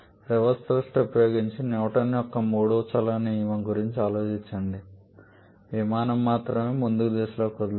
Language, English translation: Telugu, Just think about Newton's third law of motion using that reverse thrust only the aircraft is able to move in the forward direction